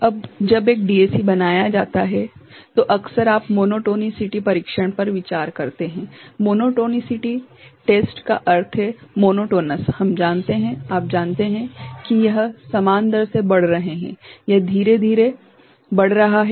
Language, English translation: Hindi, Now, when a DAC is made so, often you consider monotonicity test; monotonicity test means, monotonous we know it is you know increasing; at the same rate, gradually it is increasing